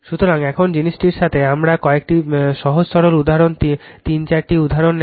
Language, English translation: Bengali, So, in the now with this thing, we will take few simple your simple example three four example